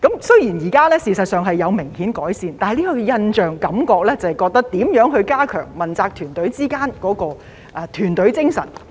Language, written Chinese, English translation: Cantonese, 雖然這情況現時事實上有明顯改善，但給我們的印象或感覺是，政府應如何加強問責團隊之間的團隊精神。, While there has now been significant improvement in the situation we are still having the impression or feeling that the Government should strengthen the team spirit among members of its accountability team